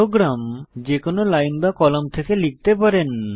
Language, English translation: Bengali, You can start writing your program from any line and column